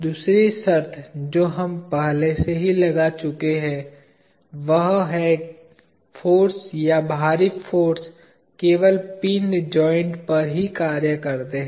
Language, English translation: Hindi, The other condition that we have already imposed is forces or external forces act only on the pinned joints